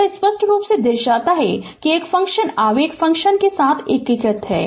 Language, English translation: Hindi, It is clearly shows that a function is integrated with the impulse function